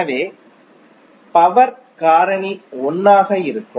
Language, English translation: Tamil, So the power factor would be 1